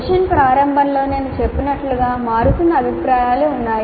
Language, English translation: Telugu, And as I mentioned at the start of the session, there are changing views